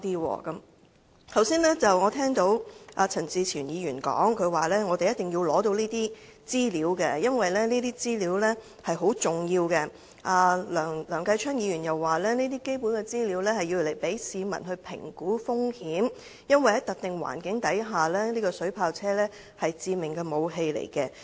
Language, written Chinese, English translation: Cantonese, 我剛才又聽到陳志全議員說，他們一定要取得有關資料，因為這些資料很重要，梁繼昌議員又表示這些基本資料，可讓市民評估風險，因為在特定環境下，水炮車是致命武器。, I also heard Mr CHAN Chi - chuen said just now that they had been determined to get the relevant information because such information was of great importance . Mr Kenneth LEUNG has also said that such basic information could be used by the public to assess risks given the lethal nature of water cannon vehicles under specific circumstances